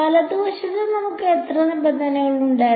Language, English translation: Malayalam, And on the right hand side we had how many terms